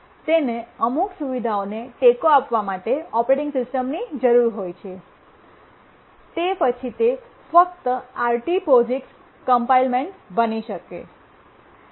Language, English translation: Gujarati, It requires an operating system to support certain features, then only it will become RT POGICs complaint